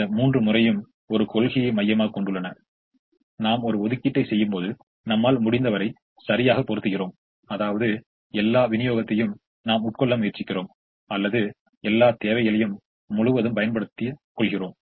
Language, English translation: Tamil, all three of them are centered around a principle: that when we make an allocation, we put as much as we can, which means we either consume all the supply or exhaust all the demand